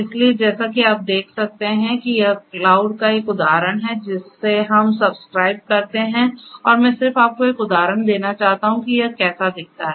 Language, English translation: Hindi, So, here as you can see this is just an instance of this cloud that we are subscribe to and I just wanted to give you and a instance of how it looks like